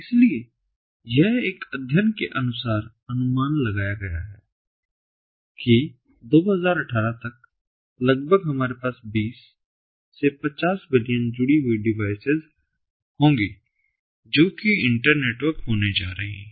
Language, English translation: Hindi, so it is estimated, as per one of the studies, that by two thousand eighteen almost, we are going to be have twenty to fifty billion devices that are connected, that are going to be internetworked